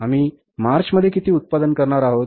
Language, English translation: Marathi, In the month of March, we will sell this much